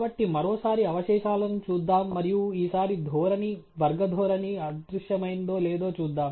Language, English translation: Telugu, So, once again let’s look at the residuals and see if this time the trend the quadratic trend has vanished right